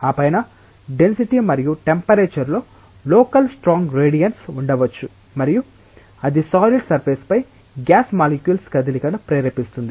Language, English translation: Telugu, On the top of that, there may be local strong gradients in density and temperature and that might itself induce motion of molecules of gases over the solid surface